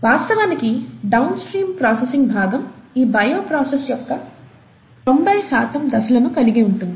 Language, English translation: Telugu, In fact, the downstream processing part could have about 90 percent of the steps of this bioprocess